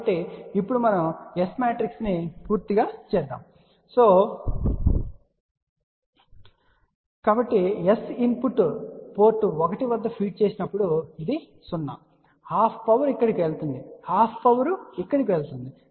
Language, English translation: Telugu, So, now we can complete the S matrix, so S matrix when we have feeding at input port 1 so that is 0, half power goes here half power goes here